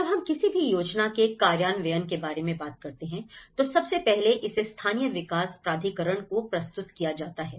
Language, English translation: Hindi, Now, when we talk about any plan implementation, first of all, it will be submitted to the local development authority